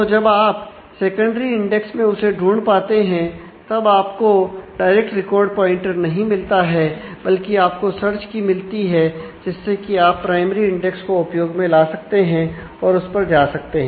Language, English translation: Hindi, So, what happens is when in the secondary index when you have been able to actually find that you do not get a pointer directly to the record, but you get the search key through which you can use the primary index and actually go to that